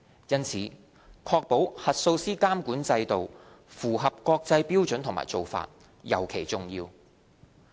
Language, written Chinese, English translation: Cantonese, 因此，確保核數師監管制度符合國際標準和做法，尤其重要。, For this reason it is very important to ensure that the auditor regulatory regime is benchmarked against international standards and practices